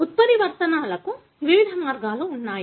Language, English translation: Telugu, There are various ways of mutations